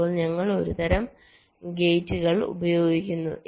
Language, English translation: Malayalam, now here we are using some kind of gates